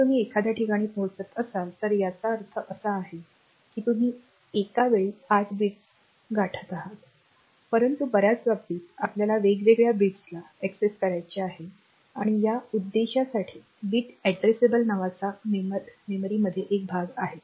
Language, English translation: Marathi, So, if you are accessing a location means you are accessing eight bits at a time, but in many cases we want to access individual bits separately and for that purpose we there is a portion of memory which is bit addressable